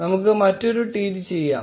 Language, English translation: Malayalam, Let us make another tweet